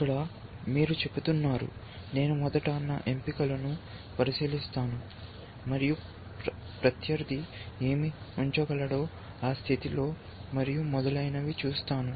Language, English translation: Telugu, Here, you are saying, I will look at my choices, first and I will look at what the opponent can place, in that position and so on